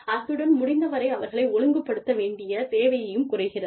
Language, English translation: Tamil, And, the need to discipline them, is reduced, as far as possible